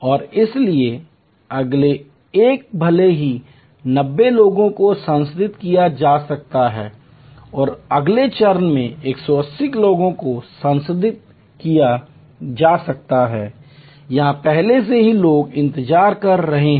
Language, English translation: Hindi, And therefore, the next one even though 90 people can be processed and in the next step 180 people can be processed, there are already people waiting here